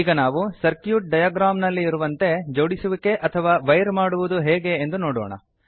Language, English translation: Kannada, Now we will see how to interconnect or wire the components as per the circuit diagram